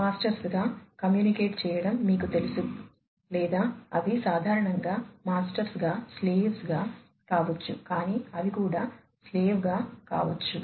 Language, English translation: Telugu, You know communicating as either masters or they can be slave typically masters, but they could be slave as well